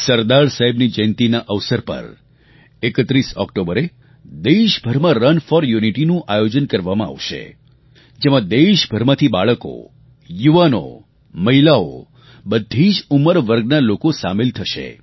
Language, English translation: Gujarati, On the occasion of the birth anniversary of Sardar Sahab, Run for Unity will be organized throughout the country, which will see the participation of children, youth, women, in fact people of all age groups